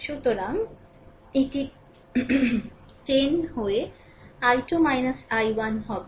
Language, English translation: Bengali, So, it will be 10 into i 2 minus i 1